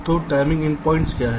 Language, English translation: Hindi, so what is the timing endpoints